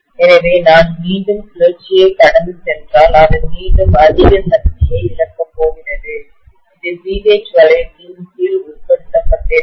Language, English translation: Tamil, So if I go through the cycle again, it is going to again lose so much of energy which is covered under the area of the BH loop